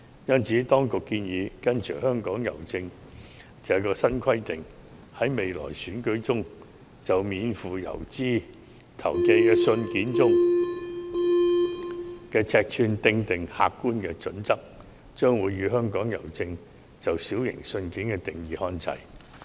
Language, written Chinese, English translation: Cantonese, 因此，當局建議跟隨香港郵政的新規定，在未來選舉中就免付郵資投寄的信件的尺寸訂定客觀準則，與香港郵政"小型信件"的定義看齊。, The authorities thus propose to follow Hongkong Posts new requirement and establish an objective yardstick on the size of postage - free letters in the future elections for the requirement on size of postage - free letters to be aligned with the size limit of small letters according to Hongkong Posts definition